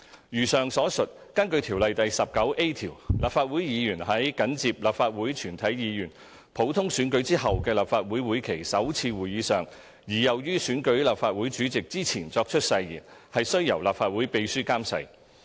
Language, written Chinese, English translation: Cantonese, 如上所述，根據《條例》第 19a 條，立法會議員在緊接立法會全體議員普通選舉後的立法會會期首次會議上而又於選舉立法會主席之前作出誓言，須由立法會秘書監誓。, As mentioned above according to section 19a of the Ordinance if a Member of the Legislative Council takes the oath at the first sitting of the session of the Legislative Council immediately after a general election of all Members of the Council and before the election of the President of the Council the oath shall be administered by the Clerk to the Council